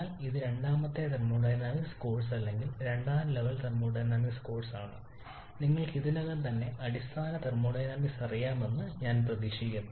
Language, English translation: Malayalam, But these being a second thermodynamics course or second level thermodynamics course where it is expected that you already know basic thermodynamics